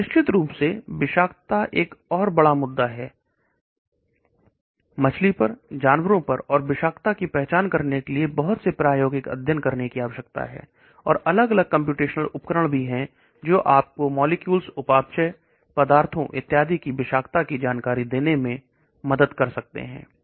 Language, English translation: Hindi, And of course toxicity is another big issue, one needs to do lot of experimental studies on fish, on animals and so on to identify toxicity, and there are different computational tools also which can help you to predict toxicity of compounds, the metabolites and so on